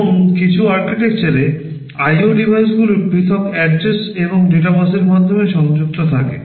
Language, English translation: Bengali, And in some architectures the IO devices are also connected via separate address and data buses